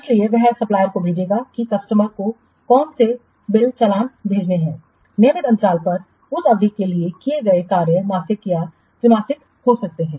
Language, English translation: Hindi, So, he will send the supplier will send what bills invoices to the customer for the work done for that period at regular intervals, maybe monthly or quarterly